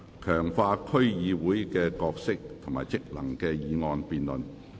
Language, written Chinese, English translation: Cantonese, "強化區議會的角色及職能"的議案辯論。, The motion debate on Strengthening the role and functions of District Councils